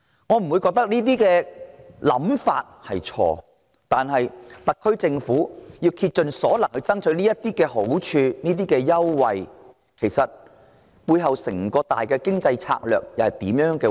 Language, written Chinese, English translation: Cantonese, 我認為這些想法並沒有錯，只是特區政府竭盡所能爭取這些好處、優惠，背後其實是出於甚麼整體經濟策略？, While taking no issue with these ideas I wonder what holistic economic strategy the SAR Government uses as the basis as it exerts all of its strength to strive for these benefits and concessions